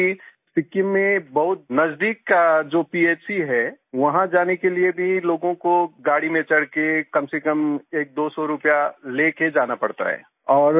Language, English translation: Hindi, It was a great experience Prime Minister ji…The fact is the nearest PHC in Sikkim… To go there also people have to board a vehicle and carry at least one or two hundred rupees